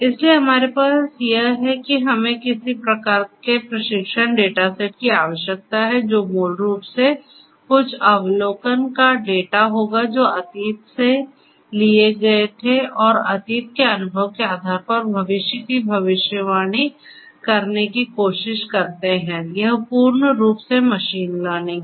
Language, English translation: Hindi, So, what we have is that we need some kind of a training data set we need a training data set which will basically be the data of some observations that were taken from the past and based on that past experience try to predict the future this is what machine learning is all about